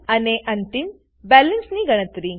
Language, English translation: Gujarati, And compute the final balance